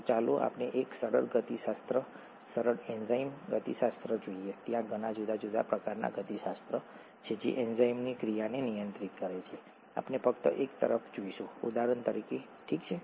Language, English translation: Gujarati, So let us look at a simple kinetics, simple enzyme kinetics, there are very many different kinds of kinetics, which are, which govern enzyme action; we will just look at one, for example, okay